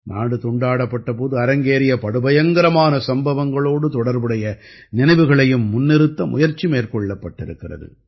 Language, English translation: Tamil, An attempt has been made to bring to the fore the memories related to the horrors of Partition